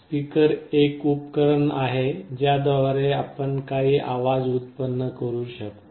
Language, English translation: Marathi, A speaker is a device through which we can generate some sound